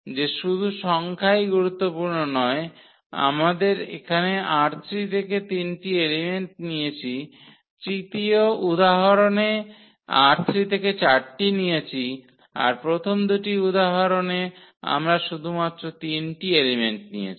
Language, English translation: Bengali, That just the number is not important that we have taken here three elements from R 3 in this, in the third example we have taken four elements from R 3 in first two examples we have taken again only three elements